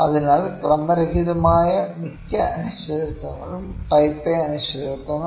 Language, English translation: Malayalam, So, most random uncertainties are type A uncertainties